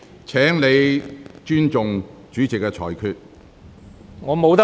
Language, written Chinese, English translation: Cantonese, 請你尊重主席的裁決。, Please respect the Presidents ruling